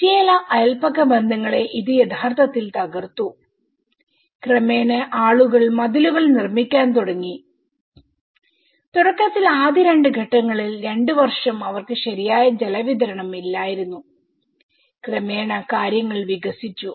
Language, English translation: Malayalam, So that has actually broken certain neighbourhood you know linkages and gradually people started in making the compound walls and initially in the first two stages, two years they were not having proper water supply and gradually things have developed